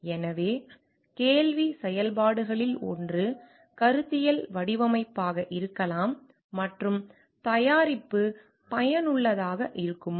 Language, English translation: Tamil, So, one of the questions functions could be conceptual design and the dilemma question could be like will the product be useful